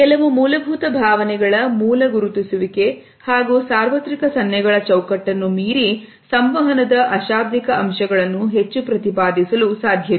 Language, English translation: Kannada, Beyond the basic identification of certain basic emotions and certain universal gestures, nonverbal aspects of communication cannot assert more